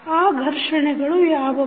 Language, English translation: Kannada, What are those frictions